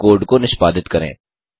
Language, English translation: Hindi, Lets now execute the code